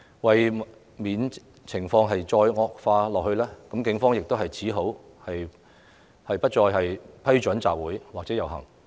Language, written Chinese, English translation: Cantonese, 為免情況進一步惡化，警方只好不再批准集會或遊行。, To prevent further deterioration of the situation the Police had no choice but to stop giving approval to assemblies or processions